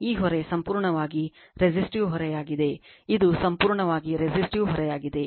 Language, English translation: Kannada, This load is a purely resistive load right, this is a purely resistive load